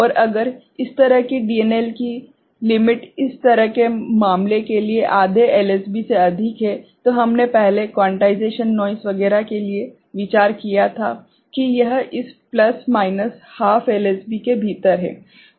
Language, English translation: Hindi, And if the this DNL limit is higher like that of say half LSB for such a case, we had earlier considered for the quantization noise etcetera that it is within this plus minus half LSB